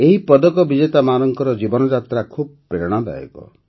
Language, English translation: Odia, The life journey of these medal winners has been quite inspiring